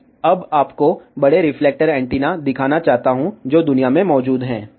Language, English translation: Hindi, I want to now show you large reflector antennas, which are present in the world